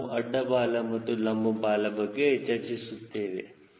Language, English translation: Kannada, ok, yeah, we have spoken about horizontal tail and vertical tail